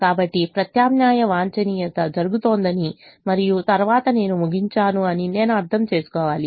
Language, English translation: Telugu, so i have to understand that alternate optimum is happening and then i will terminate